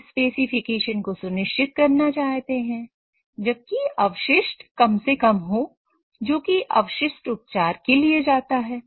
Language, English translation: Hindi, So you want to ensure the specs while minimizing the effluent which goes to the effluent treatment